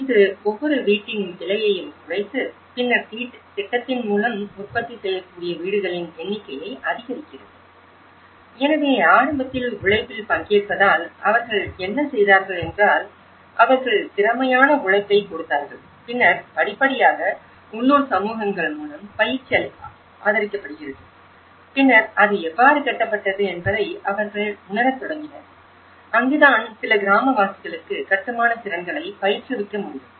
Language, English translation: Tamil, It reduce the cost of each house and then increase the number of houses that could be produced through the project, so because you are participating in the labour initially, what they did was they brought the skilled labour and then gradually the training has been supported through the local communities and then they started realizing how it is built and that’s where some of the villagers could be trained in construction skills